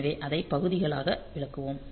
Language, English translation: Tamil, we will explain it by parts